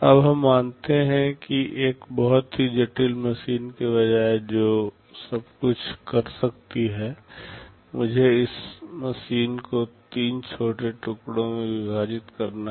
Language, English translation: Hindi, Now let us assume that instead of a single very complex machine that can do everything, let me divide this machine into three smaller pieces